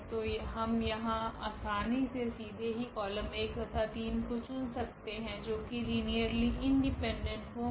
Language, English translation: Hindi, So, a straight forward we can pick the column number 1 here and the column number 3 and they will be linearly independent